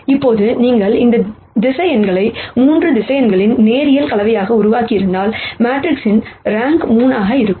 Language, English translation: Tamil, Now, if you had generated these vectors in such a way that they are a linear combination of 3 vectors, then the rank of the matrix would have been 3